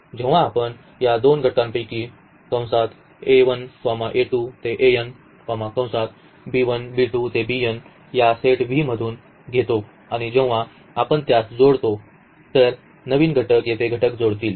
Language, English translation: Marathi, The first one is that if we take two elements u and v from this set V and if we add them the new elements should also belong to this set V